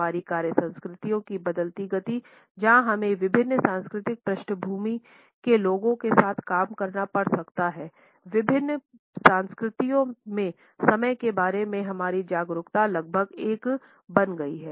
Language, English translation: Hindi, In the fast changing pace of our work cultures where we may have to work with people from different cultural background, our awareness of how time is perceived differently in different cultures has become almost a must